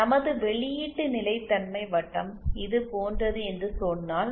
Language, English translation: Tamil, If say our output stability circle is like this